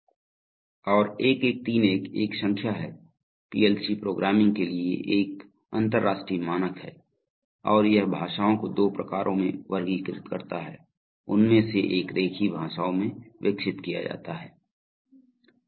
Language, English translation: Hindi, And the 1131 is a number, so this is an international standard for PLC programming and it classifies languages into two types, one is grown a graphical languages